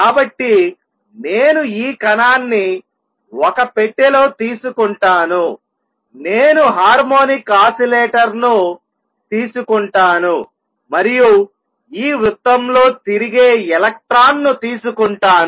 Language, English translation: Telugu, So, I will take this particle in a box, I will take the harmonic oscillator and I will take this electron going around in a circle here